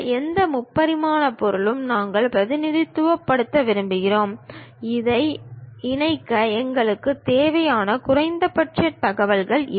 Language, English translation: Tamil, Any three dimensional object, we would like to represent; these are the minimum information we require it to connect it